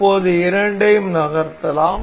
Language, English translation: Tamil, So, now both both of them can be moved